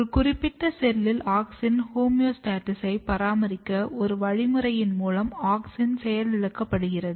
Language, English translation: Tamil, So, there is a mechanism that you can inactivate auxin that helps in maintaining auxin homeostasis in a particular cell